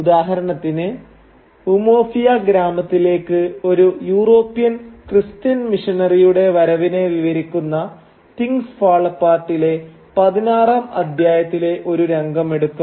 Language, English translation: Malayalam, Take for instance the scene in Chapter 16 in Things Fall Apart which describes the arrival of a European Christian missionary in the village of Umuofia